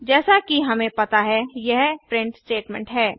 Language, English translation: Hindi, As we know this is a print statement